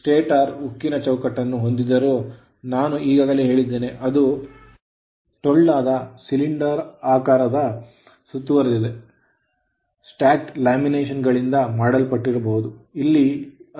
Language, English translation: Kannada, So, though stator consist of a steel frame; I told which encloses the hollow cylindrical code made up of stacked laminations right, here it is here it is and this is your steel part right